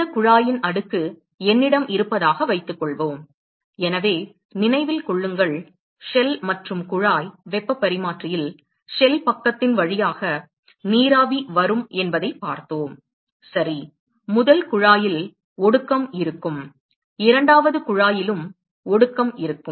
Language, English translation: Tamil, Suppose I have cascade of this tube; so, remember that in the shell and tube heat exchanger, we saw that when steam comes through the shell side ok; you will have condensation on the first tube, you will also have condensation on the second tube